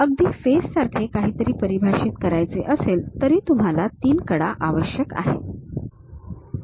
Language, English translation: Marathi, Even to define something like a face you require 3 edges